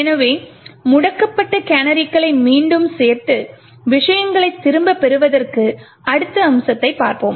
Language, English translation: Tamil, So, let us add the disable canaries again just to get things back and look at the next aspect